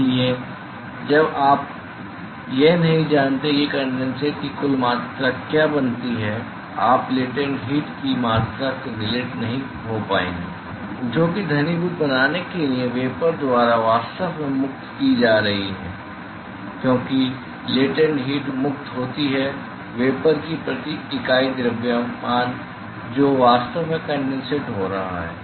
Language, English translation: Hindi, So, unless you know what is the total amount of condensate that is formed you will be not be able to relate the amount of latent heat, that is actually being liberated by the vapor in order to form the condensate, because the latent heat is liberated per unit mass of the vapor that is actually forming the condensate